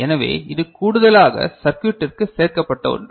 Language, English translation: Tamil, So, this is something that is included in the circuit in addition, right